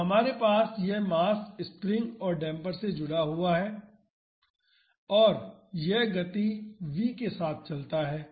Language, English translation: Hindi, So, we have this mass connected to the spring and the damper and it moves with a speed v